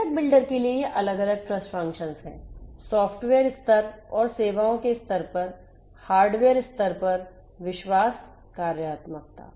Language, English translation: Hindi, These are the for the component builder these are the different trust functionalities; at the hardware level trust functionalities, at the hardware level, at the software level and the services level